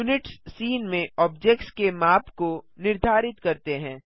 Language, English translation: Hindi, Units determines the scale of the objects in the scene